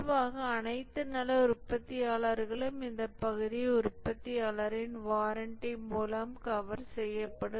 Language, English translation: Tamil, Typically all good manufacturers cover this part by the manufacturer's warranty because of the burn in